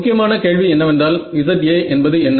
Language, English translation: Tamil, So, the main question is what is Za